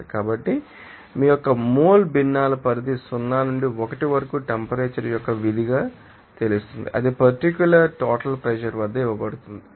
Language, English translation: Telugu, So, what the range of mole fractions of you know 0 to 1 as a function of temperature that is given at that particular total pressure